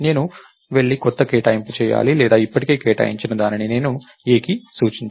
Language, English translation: Telugu, I should either go and do new allocation or I should make a point to something that is already allocated